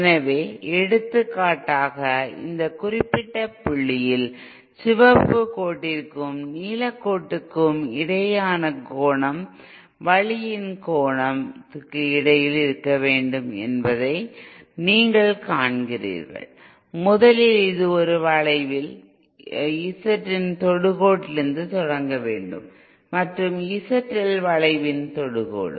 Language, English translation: Tamil, So for example, for this particular point, you see that the angle between the red line and the blue line, the angle by the way has to be between the , first it has to start from the tangent of the Z in A curve and in the tangent of the Z L curve